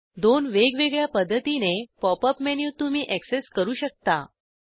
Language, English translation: Marathi, You can access the pop up menu by two different methods